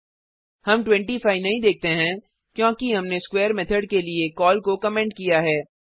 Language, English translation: Hindi, We do not see 25 because we have commented the call to square method We can also call method from other class